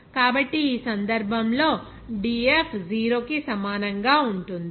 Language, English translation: Telugu, So, in this case, we can have this dF will be equal to 0